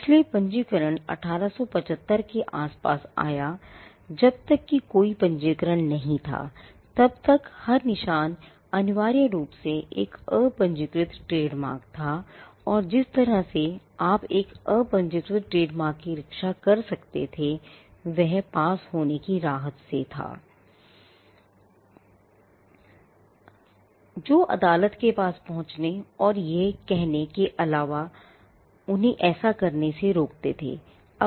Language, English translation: Hindi, So, registration came around 1875, till such time there was no registration every mark was essentially an unregistered trademark and the way in which you could protect an unregistered trademark was by the relief of passing off, which was nothing but approaching the court saying that somebody else is passing of their products, as your product and asking the court to inject them or to stop them from doing that